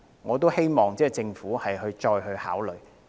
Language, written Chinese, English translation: Cantonese, 我希望政府會就此作出考慮。, I hope the Government will make considerations along those lines